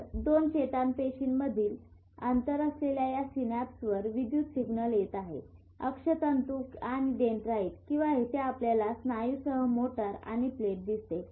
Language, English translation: Marathi, So the electrical signal which is coming here at this synapse which is a gap between two neurons, the axon and the dendrites or here you see the motor end plate which is the muscle